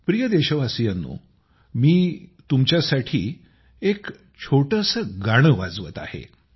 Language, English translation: Marathi, Dear countrymen, I am going to play a small clip for you…